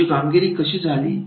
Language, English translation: Marathi, How is the output